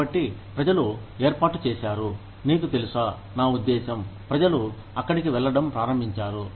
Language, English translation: Telugu, So, people have set up, you know, I mean, people have started going there